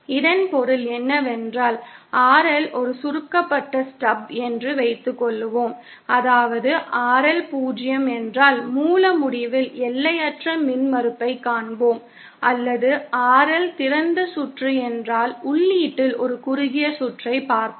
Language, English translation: Tamil, What it means that if suppose RL is a shorted stub, that is if RL is 0, then we will see infinite impedance at the source end up or if RL is open circuited, then we will see a short circuit at the input